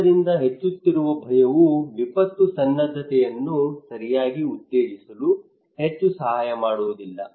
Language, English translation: Kannada, So fear, increasing fear would not help much to promote disaster preparedness right